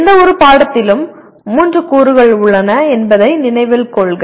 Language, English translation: Tamil, Note that there are three elements of any course